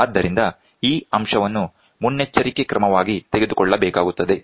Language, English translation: Kannada, So, this point has to be taken as a precaution